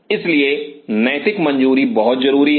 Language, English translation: Hindi, So, that ethical clearance is very essential